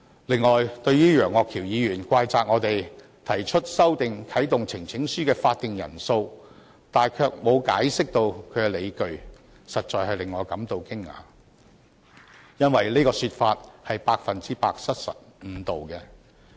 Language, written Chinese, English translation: Cantonese, 此外，對於楊岳橋議員怪責我們沒有就修訂啟動呈請書的法定人數提供解釋理據，實在令我感到驚訝，因為這種說法百分之百失實和誤導。, Besides Mr Alvin YEUNG blamed us for not providing any explanation or justification for our amendment to the prescribed number of Members required to activate the petition mechanism . I am really surprised because what he said is one hundred per cent untrue and misleading